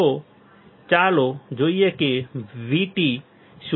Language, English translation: Gujarati, That so let us see what is V T